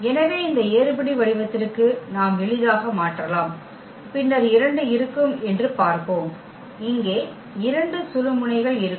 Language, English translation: Tamil, So, we can easily convert to this echelon form here and then we will see there will be 2; there will be 2 pivot elements here